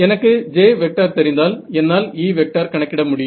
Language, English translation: Tamil, If I know J, I can calculate E right